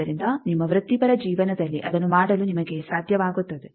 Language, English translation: Kannada, So, you will be able to do that in your professional career